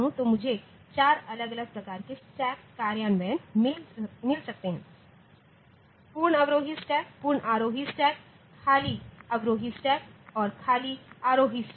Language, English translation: Hindi, So, I can get four different types of stacks implemented, full descending stack, full ascending stack, empty descending stack and empty ascending stack